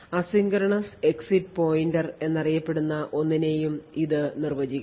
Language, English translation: Malayalam, It should also define something known as asynchronous exit pointer which we will actually see a bit later